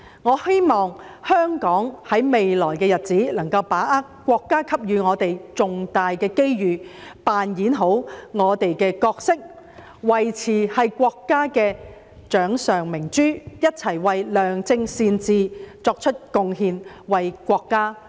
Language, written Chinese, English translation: Cantonese, 我希望香港在未來的日子，能夠把握國家所給予的重大機遇，扮演好我們的角色，維持是國家的掌上明珠，一起為良政善治作出貢獻、為國家作出貢獻。, I hope that in the future Hong Kong will seize the great opportunities offered by our country play our role well remain the pearl in the palm of our country and contribute together to good governance and to our country